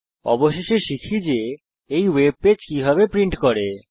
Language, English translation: Bengali, Finally, lets learn how to print this web page